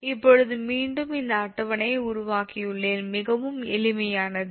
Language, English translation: Tamil, question is that again, i have made this table you have just understand very easy, actually very easy right now